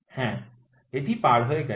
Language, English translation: Bengali, Yes, it has crossed